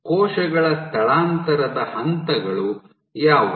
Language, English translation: Kannada, So, what are the steps of cell migration